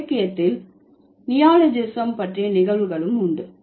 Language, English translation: Tamil, There are also instances of neologism in literature